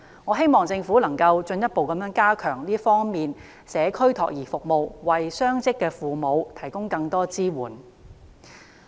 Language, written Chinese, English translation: Cantonese, 我希望政府能夠進一步加強社區託兒服務，為雙職父母提供更多支援。, I hope that the Government will further enhance community child care service so as to provide more support for dual - income parents